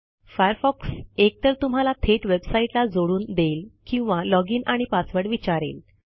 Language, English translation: Marathi, Firefox could connect to the website directly or it could ask for a login and password